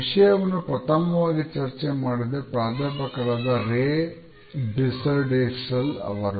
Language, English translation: Kannada, The first person who brought our attention to it was Professor Ray Birsdwhistell